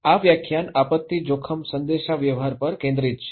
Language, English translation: Gujarati, This lecture is focusing on disaster risk communications